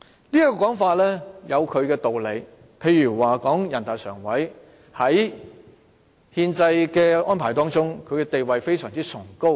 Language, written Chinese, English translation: Cantonese, 這種說法有其道理，例如人大常委會在憲制中的地位非常崇高。, This argument is reasonable in the sense that for instance NPCSC enjoys a lofty status in the constitutional system